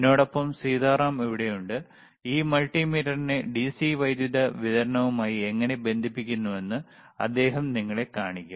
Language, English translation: Malayalam, Sitaram is here to accompany me and he will be showing you how to connect this multimeter to the DC power supply so, let us see